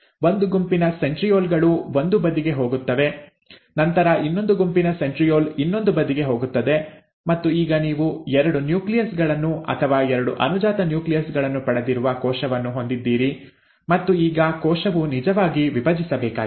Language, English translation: Kannada, One set of centrioles go to one side, then the other set of centriole goes to the other side, and now you have a cell which has got two nuclei, or two daughter nuclei, and now the cell actually needs to divide